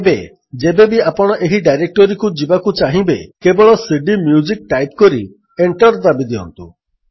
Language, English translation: Odia, Now every time you need to switch to this directory simply write cdMusic and press Enter